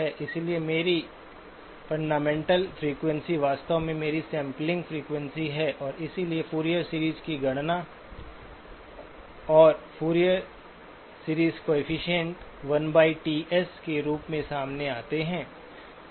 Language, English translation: Hindi, So my fundamental frequency is actually my sampling frequency and so the Fourier series computation and all of the Fourier series coefficients come out to be 1 by Ts